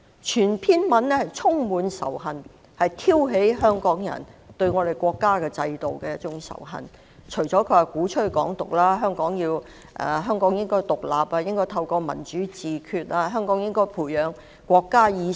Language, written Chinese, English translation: Cantonese, 全篇演辭充滿仇恨，旨在挑起香港人對國家制度的仇恨，他鼓吹"港獨"，說香港應該獨立，民主自決，培養國家意識。, His purpose in delivering this hate - ridden speech was to stir up hatred towards our countrys regime among Hong Kong people . He advocated Hong Kong independence saying that Hong Kong should gain independence achieve democratic self - determination and develop a sense of nationhood